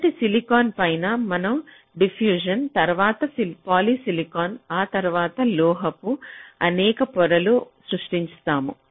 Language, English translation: Telugu, so on top of the silicon we create the diffusion, then poly silicon, then several layers of metal